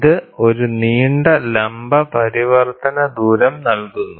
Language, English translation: Malayalam, It provides a long vertical working distance